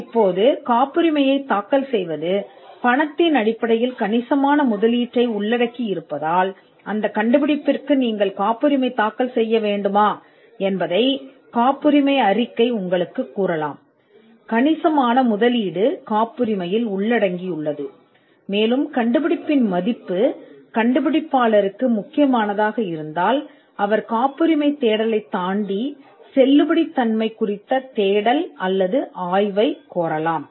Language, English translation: Tamil, Now because filing patents involves a substantial investment in terms of money a patentability report can tell you whether you have to make that invention, a substantial investment is involved in patenting and if the value of the invention is critical for the inventor, then the inventor may choose to go beyond a patentability search and ask for a validity search or a validity study